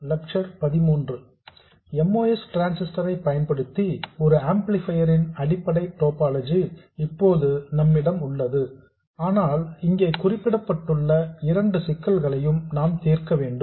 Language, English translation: Tamil, We now have the basic topology of an amplifier using a MOS transistor but there are two problems that we need to solve which are mentioned here